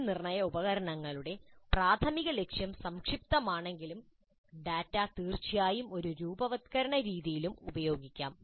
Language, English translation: Malayalam, So though the assessment instruments primary purpose is summative in nature, the data can certainly be used in a formative manner also